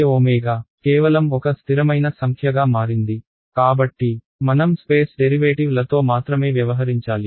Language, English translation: Telugu, It is just become a constant number j omega so; I have to deal only with the space derivatives